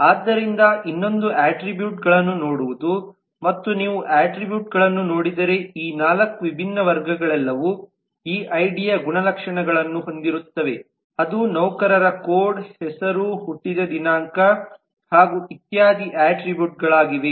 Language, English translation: Kannada, so another would be to looking at the attributes and if you look at the attributes you will find that all of these 4 different classes actually have these attributes of id which is employee code, name, date of birth and so on